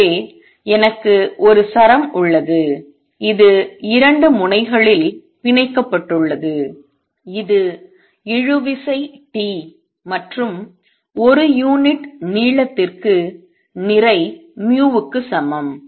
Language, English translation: Tamil, So, I have a string which is tied at 2 ends it has tension T and mass per unit length equals mu